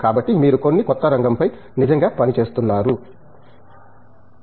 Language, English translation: Telugu, So, you are working on really on some of the newer areas